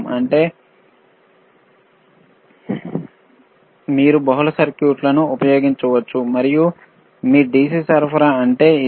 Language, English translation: Telugu, ; tThat means, that you can use multiple circuits, and this is what your DC power supply means